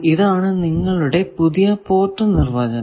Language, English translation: Malayalam, So, this will be your new port definition